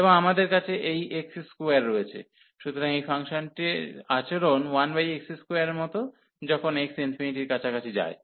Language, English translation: Bengali, And so we have this x square, so the behavior of this function is like 1 over x square as x approaching to infinity